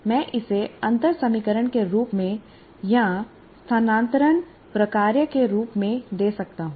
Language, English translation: Hindi, I can give it in the form of a differential equation or as a transfer function